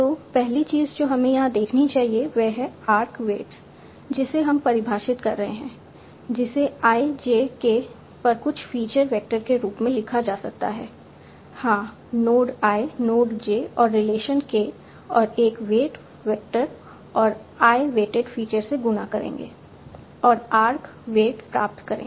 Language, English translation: Hindi, So the first thing that we should see here is the arc weights that we are defining can be written as some feature vector over IJK, yes, the node I, the node I, the node J and the relation K, and a weight factor